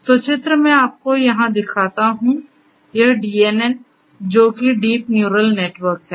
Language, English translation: Hindi, So, diagrammatically I show you over here that this DNN which is the deep neural network